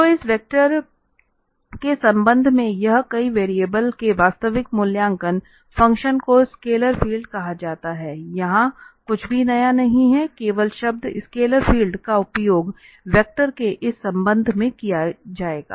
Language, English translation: Hindi, So, in the context of this vector simply this a real valued function of several variable is called a scalar field, there is nothing new here only the term the scalar field will be used in this context of vectors